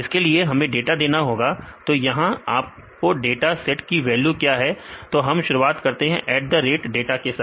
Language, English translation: Hindi, Then we have to give the data; what is the values for your dataset; so, we start with the @ data